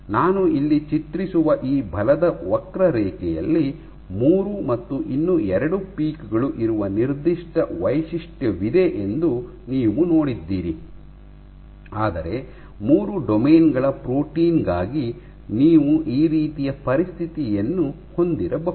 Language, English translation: Kannada, So, in the force curve that I drew here you see you have a signature where there are three plus two peaks, but for a protein of domain, three domains you might have a situation like this